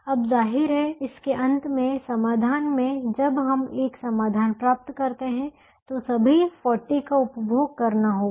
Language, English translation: Hindi, now, obviously, in the solution, at the end of it, when we get a solution, all the forty has to be consumed